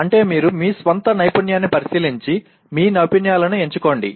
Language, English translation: Telugu, That is you inspect your own skill and select your skills